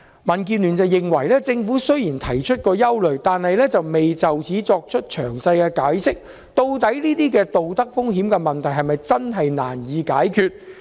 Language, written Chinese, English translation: Cantonese, 民建聯認為，政府雖然提出了憂慮，但未有詳細解釋究竟這些道德風險的問題是否真的難以解決。, DAB considers that while the Government has expressed its concern it has not explained in detail whether the risk of moral hazard is really difficult to resolve